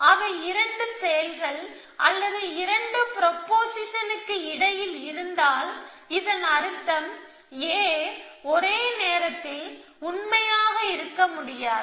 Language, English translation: Tamil, If they might exists between two entities, either two actions of the propositions it means at, though A cannot be true at the same time